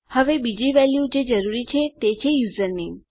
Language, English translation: Gujarati, Now, the other values we need to get are the name of the user